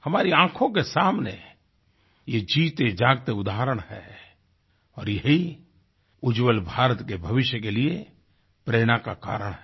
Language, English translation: Hindi, These are but living examples before your eyes… these very examples are a source of inspiration for the future of a rising & glowing India